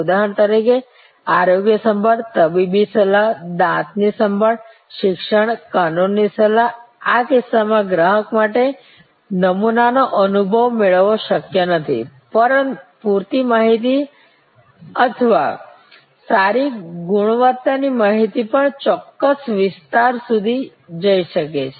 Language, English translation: Gujarati, For example, health care, medical advice, dental care, education, legal advice, in this cases it is not possible for the customer to get a sample experience, even enough amount of information or good quality information can go up to certain extend